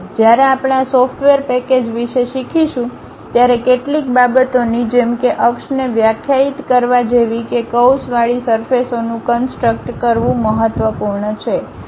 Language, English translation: Gujarati, When we are going to learn about this software package some of the things like defining an axis defining curve is important to construct such kind of revolved surfaces